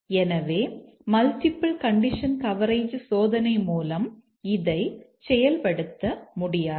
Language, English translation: Tamil, But what about multiple condition coverage testing